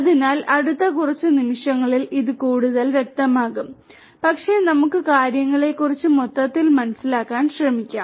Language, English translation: Malayalam, So, that this will make it clearer in the next few moments, but let us try to get an overall understanding of the things